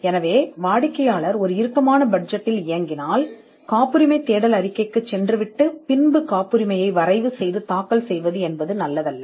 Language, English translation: Tamil, So, if the client operates on a tight budget, then it would not be advisable to go in for patentability search report followed by the filing and drafting of a patent itself